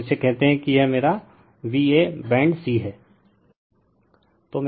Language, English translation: Hindi, And this is your what you call say this is my v a, b and c